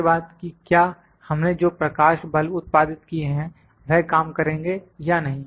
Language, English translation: Hindi, Then whether the light bulb that we have produced to works or not